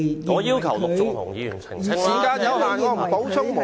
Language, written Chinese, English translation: Cantonese, 我要求陸頌雄議員澄清。, I seek an elucidation from Mr LUK Chung - hung